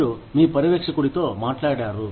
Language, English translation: Telugu, You have spoken to your supervisor